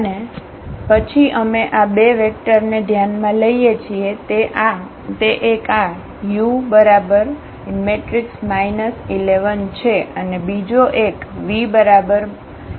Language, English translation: Gujarati, And, then we consider these two vectors one is this u which is minus 1 0 and another one is v which is 2 1